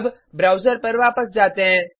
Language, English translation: Hindi, Now, switch back to the browser